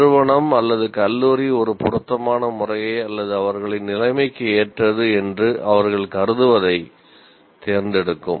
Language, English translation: Tamil, The institute or the college will select an appropriate method or what they consider is appropriate to their situation